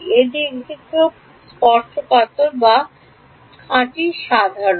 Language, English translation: Bengali, Is it tangential or purely normal